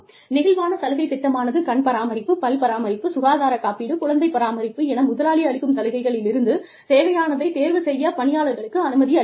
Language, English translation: Tamil, Flexible benefits program allows employees, to choose from a selection of employer provided benefits, such as vision care, dental care, health insurance, child care, etcetera